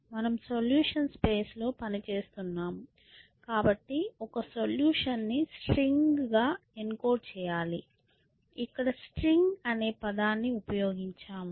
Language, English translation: Telugu, You are working in the solutions space so, you have to encode a solution as a string so, I just used a term string